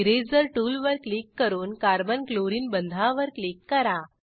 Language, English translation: Marathi, Click on Eraser tool and click on Carbon chlorine bond